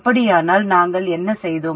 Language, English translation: Tamil, So what did we do then